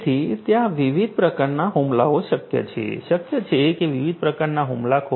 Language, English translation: Gujarati, So, there are different types of attacks that are possible; different types of attackers that would be possible